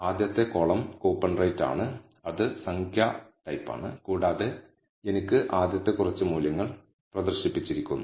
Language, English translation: Malayalam, The first column being coupon rate, which is of the type numeric and I have the first few values being displayed